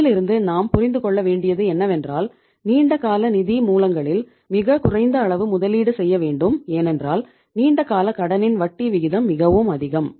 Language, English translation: Tamil, So in this case, but means the minimum investment should be from the long term sources because the interest rate is very high on the long term borrowings